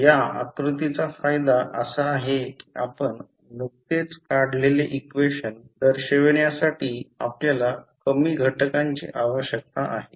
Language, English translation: Marathi, So, the advantage of this particular figure is that you need fewer element to show the equation which we just derived